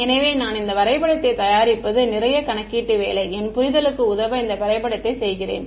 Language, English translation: Tamil, So, it's a lot of computational work to produce this diagram I am doing this diagram to aid my understanding This is